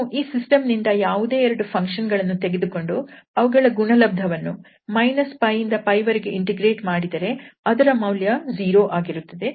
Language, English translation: Kannada, So, if we take any two members of this family any two members form this system and their product when integrated over this interval minus pi to pi, the value of this integral is going to be 0